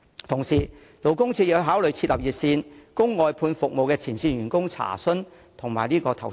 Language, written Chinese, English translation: Cantonese, 同時，勞工處可考慮設立熱線，供外判服務的前線員工查詢及投訴。, Meanwhile the Labour Department can consider establishing a hotline for the frontline staff of outsourced service contractors to make enquiries and lodge complaints